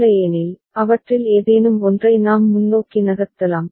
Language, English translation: Tamil, Otherwise, we can move ahead with any one of them